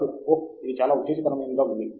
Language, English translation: Telugu, this is very exciting